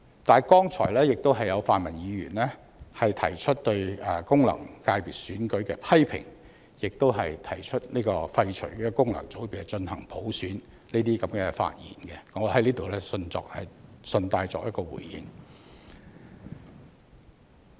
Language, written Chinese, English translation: Cantonese, 但是，剛才有泛民議員發言提出對功能界別選舉的批評，亦提出廢除功能界別、進行普選，我在此順帶作出回應。, However since some pan - democratic Members raised criticisms against FC elections and proposed abolishing FCs and implementing universal suffrage in their speeches just now I would like to respond in passing